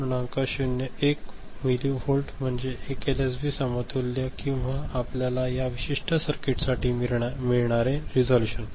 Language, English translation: Marathi, 01 millivolt is the 1 LSB equivalent or the resolution that you get for this particular circuit is it ok, right